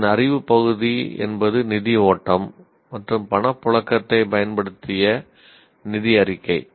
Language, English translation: Tamil, The knowledge part of it is financial statement using fund flow and cash flow